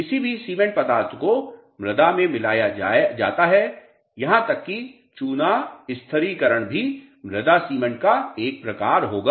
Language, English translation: Hindi, Any cementing material added to the soil even lime stabilization would also be a sort of a soil cement